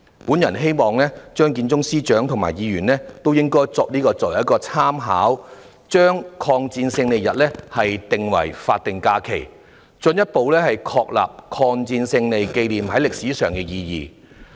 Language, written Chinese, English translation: Cantonese, 我希望張建宗司長和議員以此作為參考，將抗日戰爭勝利紀念日列為法定假日，進一步確立抗戰勝利紀念在歷史上的意義。, I hope that Chief Secretary Matthew CHEUNG and Members would use this as a reference and designate the Victory Day as a statutory holiday with a view to further establishing the historical significance of the commemoration on the victory in the war of resistance